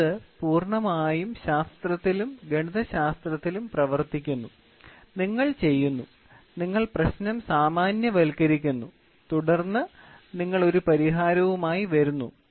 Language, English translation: Malayalam, The next one is completely working on science and mathematics, you do, you generalize the problem and then you come out with a solution